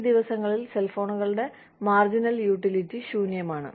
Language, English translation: Malayalam, These days, the marginal utility of cell phones, is nil